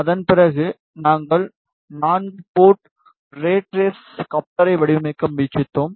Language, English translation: Tamil, After that we tried to design four port rat race coupler